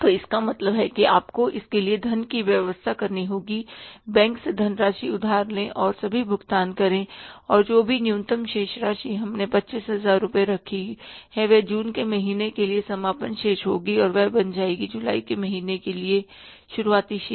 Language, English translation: Hindi, So it means you have to arrange the funds for that, borrow the funds from the bank, make all the payments and then whatever is the minimum balance we have kept of 25,000 rupees will be the closing balance for the month of June and that will become the opening balance for the month of July